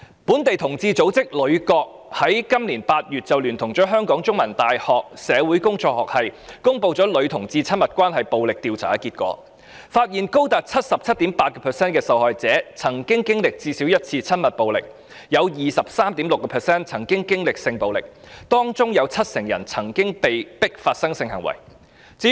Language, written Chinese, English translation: Cantonese, 本地同志組織女角平權協作組於本年8月聯同香港中文大學社會工作學系，公布女同志親密關係暴力調查結果，發現有高達 77.8% 受害者曾經歷最少一次親密暴力，有 23.6% 受害者曾經歷性暴力，當中有 70% 曾被迫發生性行為。, Les Corner Empowerment Association a local homosexual organization published in August this year the results of a survey conducted jointly with the Department of Social Work of the Chinese University of Hong Kong on violence in intimate lesbian relationships . The survey results reveal that 77.8 % of the victims were subject to intimate violence on at least one occasion; 23.6 % of the victims were subject to sexual violence while 70 % of them were victims of forced sex